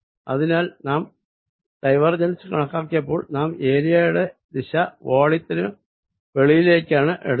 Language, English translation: Malayalam, so, ah, earlier also, when we were calculating divergence, we were taking area direction to be coming out of the volume